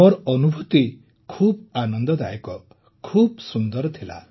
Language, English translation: Odia, My experience was very enjoyable, very good